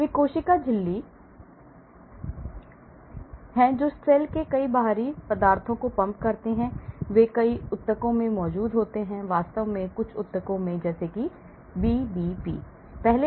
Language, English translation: Hindi, These are cell membrane that pumps many foreign substances out of the cell, they are present in many tissues in fact more in some of the tissues like a BBB like